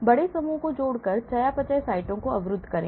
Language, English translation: Hindi, block metabolic sites by adding large groups